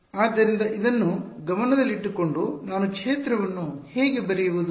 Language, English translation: Kannada, So, with this in mind how do I write the field